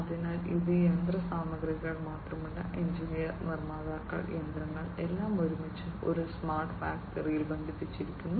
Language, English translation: Malayalam, So, it is not just machinery, but engineers, manufacturers, machinery, everything connected together in a smart factory